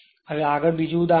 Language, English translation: Gujarati, Now, next is another example